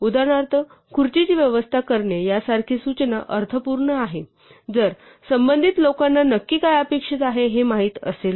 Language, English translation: Marathi, For instance, an instruction such as arrange the chair would makes sense if the people involved know exactly what is expected